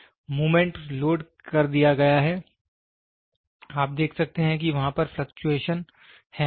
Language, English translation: Hindi, Moment it is loaded, you can see there be a fluctuation